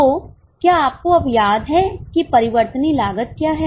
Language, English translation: Hindi, So, do you remember now what is a variable cost